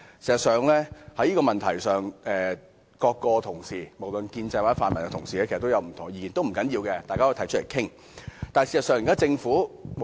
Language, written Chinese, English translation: Cantonese, 在這問題上，各位同事——無論是建制或泛民同事——其實也有不同意見，不要緊，大家可提出來討論。, On this matter all Honourable colleagues―whether from the pro - establishment camp or the pan - democratic camp―hold different views . It is fine as we can present our views for discussion